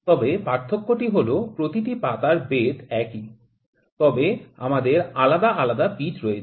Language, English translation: Bengali, But the difference is that the thickness of each leaf is same, but we have different profiles of threads here